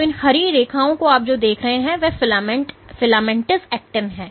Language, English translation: Hindi, So, these green lines what you see are filamentous actin